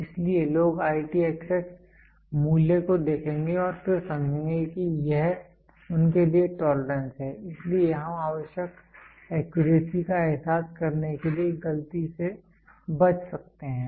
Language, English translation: Hindi, So, people will look at IT xx value and then understand this is the tolerance they have to be, so we can avoid mistake to realize the required accuracy